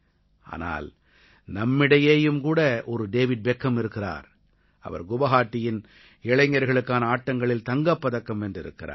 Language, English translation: Tamil, But now we also have a David Beckham amidst us and he has won a gold medal at the Youth Games in Guwahati